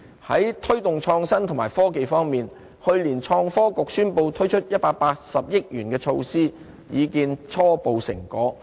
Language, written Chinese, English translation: Cantonese, 在推動創新及科技方面，去年創科局宣布推出180億元的措施，已見初步成果。, Concerning the promotion of innovation and technology last year the Innovation and Technology Bureau introduced various measures costing 18 billion in total and such measures are starting to bear fruits